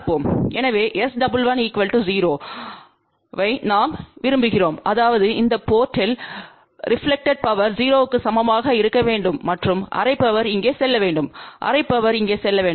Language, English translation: Tamil, So, ideally what do we want we want S 11 to be equal to 0; that means, the reflected power at this port should be equal to 0 and the half power should go here half power should go over here